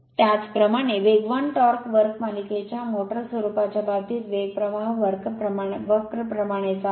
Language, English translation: Marathi, Similarly, in the case of a series motor nature of the speed torque curve is similar to that of the speed current curve right